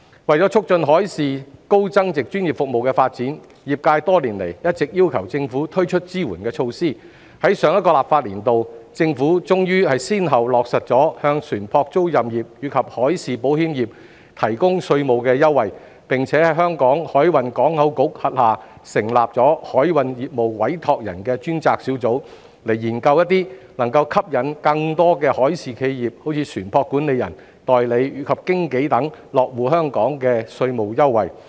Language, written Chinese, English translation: Cantonese, 為促進海事高增值專業服務的發展，業界多年來一直要求政府推出支援措施，在上一個立法年度，政府終於先後落實向船舶租賃業及海事保險業提供稅務優惠，並在香港海運港口局轄下成立海運業務委託人專責小組，以研究一些能夠吸引更多海事企業，如船舶管理人、代理及經紀等落戶香港的稅務優惠。, In order to promote the development of high value - added professional maritime services the maritime industry has been urging the Government to introduce supporting measures over the years . In the last legislative session the Government finally implemented tax concessions for ship leasing business and marine insurance business one by one . Also the Task Force on Commercial Principals has been set up under the Hong Kong Maritime and Port Board to study tax concessionary measures which can attract more maritime enterprises such as ship management companies ship brokers and ship agents to establish their bases in Hong Kong